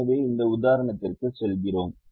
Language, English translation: Tamil, so we go to this example